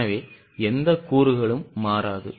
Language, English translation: Tamil, So, no component is variable